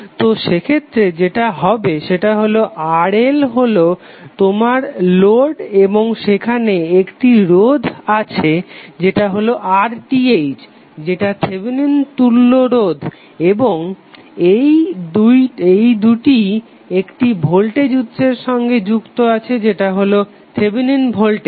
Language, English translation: Bengali, So what will happen in that case the circuit RL this would be your load and there will be one resistance RTh would be the Thevenin equivalent resistance and it would both would be connected through voltage source which is nothing but Thevenin Voltage